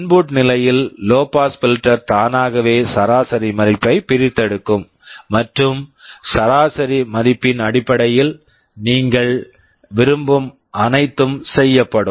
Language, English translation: Tamil, And the low pass filter in the input stage will automatically extract the average value and based on the average value whatever you want will be done